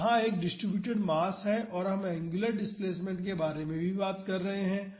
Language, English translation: Hindi, So, here this is a distributed mass and we are also talking about angular displacement